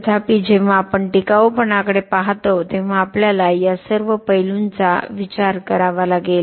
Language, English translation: Marathi, However, we have to think about all this aspect when we look at sustainability